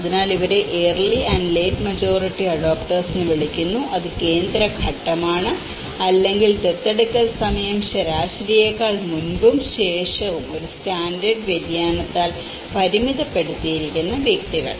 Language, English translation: Malayalam, so these are referred as early adopters and early and late majority adopters which is the central phase, or the individuals whose time of adoption was bounded by one standard deviation earlier and later than the average